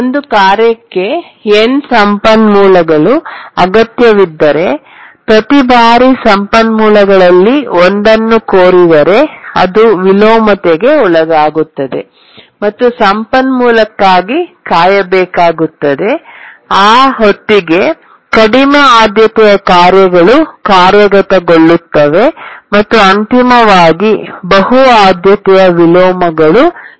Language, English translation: Kannada, That is, if a task needs n resources, each time it requests for one of the resources, it undergoes inversion, waits for that resource, and by that time lower priority tasks execute and multiple priority inversions occur